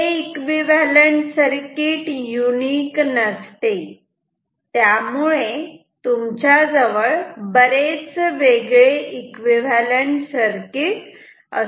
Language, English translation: Marathi, Equivalent circuit is not unique, you can have many different equivalent circuits